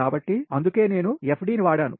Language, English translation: Telugu, so thats why i have made fd